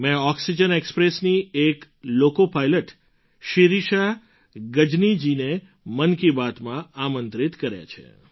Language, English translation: Gujarati, I have invited Shirisha Gajni, a loco pilot of Oxygen Express, to Mann Ki Baat